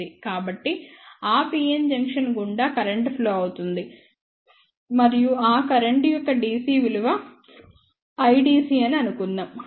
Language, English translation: Telugu, So, there will be current flowing through that pn junction and let us say that dc value of that current is I dc